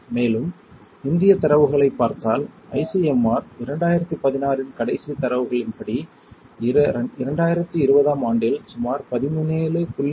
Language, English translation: Tamil, And, if you see Indian data, the last data from ICMR 2016 about 14